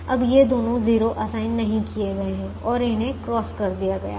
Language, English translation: Hindi, now these two zeros are not assigned and they are crossed